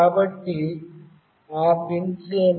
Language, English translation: Telugu, So, what are those pins